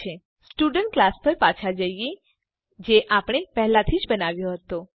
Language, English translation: Gujarati, Let us go back to the Student class we had already created